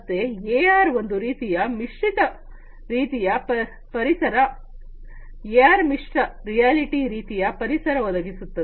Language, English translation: Kannada, So, AR is some kind of mixed reality kind of environment VR provides mixed reality environment